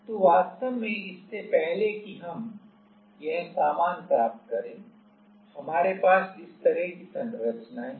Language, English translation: Hindi, So, there is actually before we get this stuff actually we have this kind of structures So, ultimately